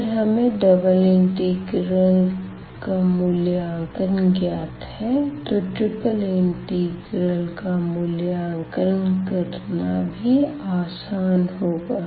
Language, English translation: Hindi, So, having the knowledge of the evaluation of the double integral, this will be also easier